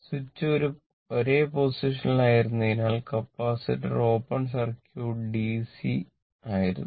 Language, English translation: Malayalam, Switch has been in a position for long time the capacitor was open circuited DC as it was in the long position